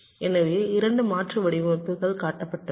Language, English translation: Tamil, so two alternate designs are shown